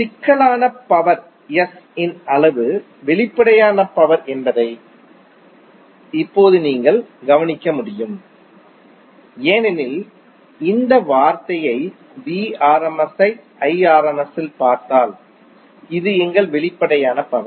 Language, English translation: Tamil, Now you can notice that the magnitude of complex power S is apparent power because if you see this term Vrms into Irms this is our apparent power